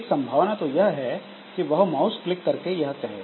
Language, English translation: Hindi, So, one possibility is say mouse click